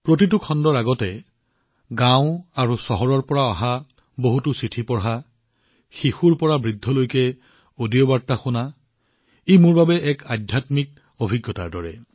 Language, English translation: Assamese, Before every episode, reading letters from villages and cities, listening to audio messages from children to elders; it is like a spiritual experience for me